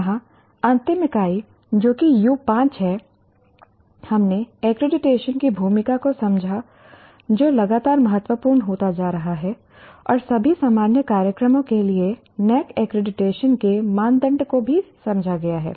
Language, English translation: Hindi, Here, in the last unit that is U5, we understood the role of accreditation which is becoming increasingly important and also understood the criteria of NAC accreditation